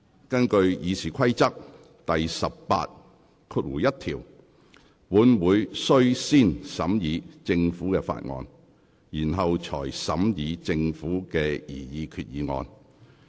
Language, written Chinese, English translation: Cantonese, 根據《議事規則》第181條，本會須先審議政府提交的法案，然後才審議政府提出的擬議決議案。, According to RoP 181 the Council must deal with Government bills first before the resolutions proposed by the Government